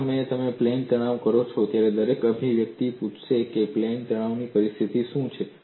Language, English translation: Gujarati, In the moment you plane stress, everybody will ask what is the plane stress situation define